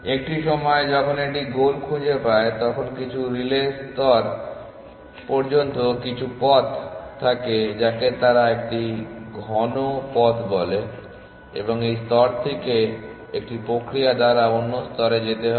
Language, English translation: Bengali, At some point, when it finds the goal it would have some path up to some relay layer which they call as a dense path and from this layer to another layer by a mechanism